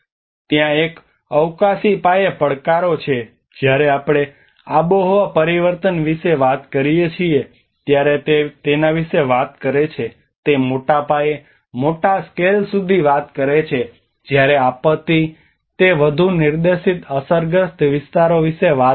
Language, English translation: Gujarati, There is a spatial scale challenges when we talk about the climate change it talks about its very it talks up to much bigger scales, larger scales whereas the disaster it talks about much more to the pointed affected areas